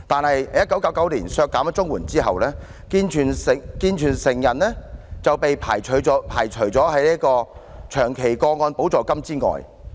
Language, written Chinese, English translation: Cantonese, 可是，在1999年削減綜援之後，健全成人就被排除在長期個案補助金之外。, Yet after the cut of CSSA payments in 1999 able - bodied adults entitlement to long - term supplement was abolished